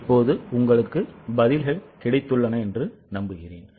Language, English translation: Tamil, I hope you have got the answers now